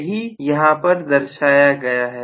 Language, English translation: Hindi, That is what this is indicating, right